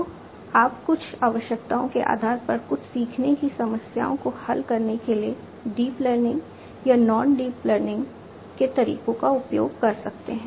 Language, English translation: Hindi, So, you can use deep learning or non deep learning methods to solve certain learning problems depending on the certain requirements that are there